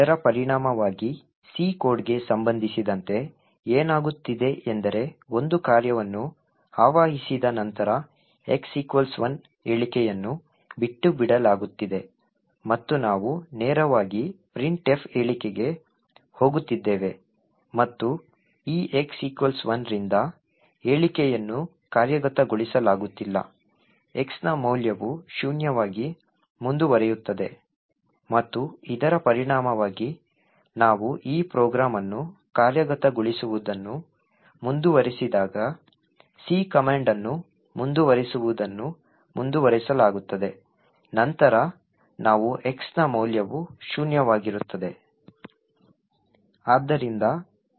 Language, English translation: Kannada, As a result what is happening with respect to the C code is that after a function is invoked the x equal to 1 statement is getting skipped and we are directly going to the printf statement and since this x equal to 1 statement is not being executed the value of x continues to be zero and as a result when we actually continue the execution of this program using the C command which stands for continue to execute, then we get that the value of x is zero